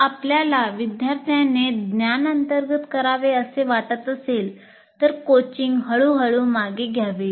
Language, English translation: Marathi, And then if you want the student to completely internalize that, the coaching should be gradually withdrawn